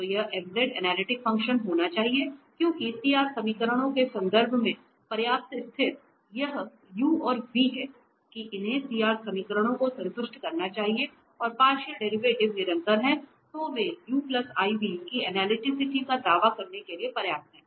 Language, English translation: Hindi, So, this f z has to be a analytic function because the sufficient condition for in terms of CR equations are that these u and v must satisfy CR equations and the partial derivatives are continuous then they are sufficient for claiming analyticity of this u plus iv